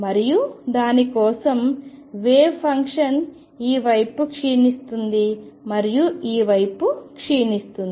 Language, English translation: Telugu, And for that the wave function decays on this side and decays on this side